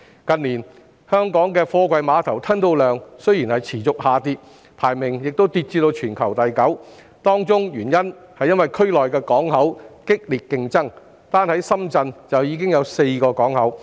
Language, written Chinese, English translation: Cantonese, 近年，本港貨櫃碼頭的吞吐量持續下跌，港口排名亦跌至全球第九位，當中原因是區內港口競爭激烈，單在深圳已有4個港口。, In recent years there has been a continuous decline in the throughput of Hong Kong container terminals and the port ranking of Hong Kong has fallen to the ninth in the world due to fierce competition from different ports in the region with four ports in Shenzhen alone